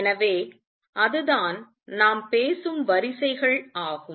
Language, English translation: Tamil, So, that is the kind of orders we talking about